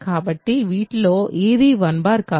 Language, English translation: Telugu, So, none of them is 1 bar